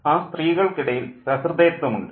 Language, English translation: Malayalam, There is camaraderie among the women